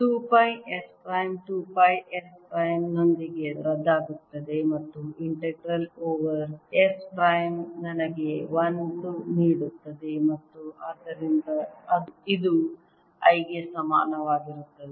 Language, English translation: Kannada, integral two pi s prime cancels with two pi s prime and integral over s prime gives me one and therefore this is equal to i